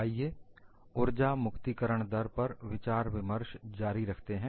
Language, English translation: Hindi, Let us continue our discussion on Energy Release Rate